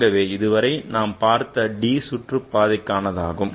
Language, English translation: Tamil, So let's start with the real part for the d orbital